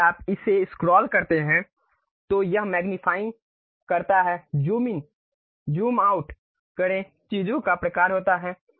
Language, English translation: Hindi, If you scroll it, it magnifies zoom in, zoom out kind of things happens